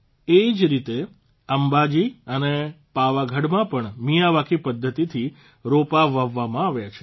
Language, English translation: Gujarati, Similarly, saplings have been planted in Ambaji and Pavagadh by the Miyawaki method